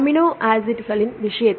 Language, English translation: Tamil, In the case of amino acids